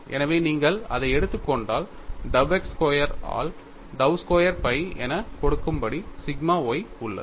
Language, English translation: Tamil, So, if you take that, you have sigma y as given as dou squared phi by dou x square